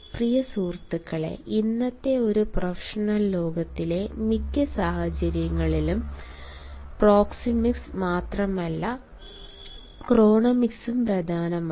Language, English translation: Malayalam, dear friends, in a professional world of today, not only proxemics but chronemics are important